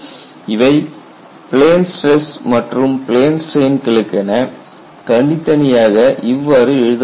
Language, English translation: Tamil, It is separately written for plane stress, this separately written for plane strain